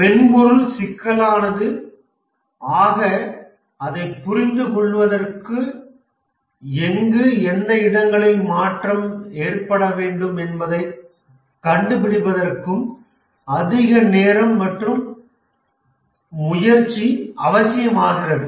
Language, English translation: Tamil, The more complex is a software, the more time effort is necessary to understand the software and find out where exactly and what change needs to occur